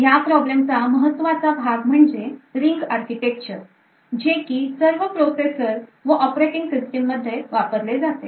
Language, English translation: Marathi, The heart of the problem is the ring architecture that is adopted by all processors and operating systems